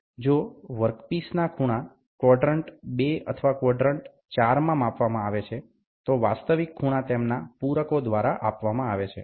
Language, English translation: Gujarati, If the angle of the work part are being measured in quadrant 2 or 4 the actual angle are given by their supplements